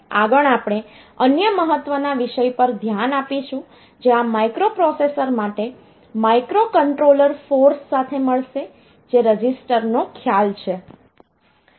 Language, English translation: Gujarati, Next will look into another important topic that we have that will meet for this microprocessor a microcontroller force, which is the concept of the resistance